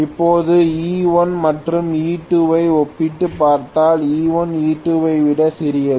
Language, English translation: Tamil, Now, E1 and E2 if I compare I said E1 is smaller than E2 but any E is equal to 4